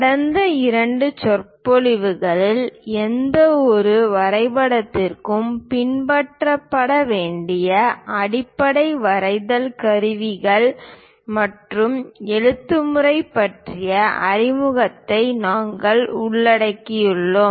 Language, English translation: Tamil, In the last two lectures we covered introduction, basic drawing instruments and lettering to be followed for any drawing